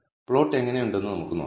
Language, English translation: Malayalam, So, let us see how the plot looks